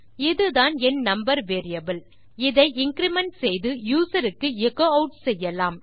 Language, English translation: Tamil, This is my number variable, this can increment and can be echoed out to the user